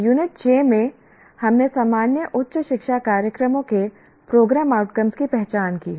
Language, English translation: Hindi, And in unit six, we have identified the program outcomes of general higher education programs